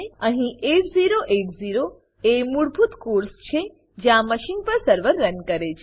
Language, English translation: Gujarati, Here 8080 is the default course at which the server runs on the machine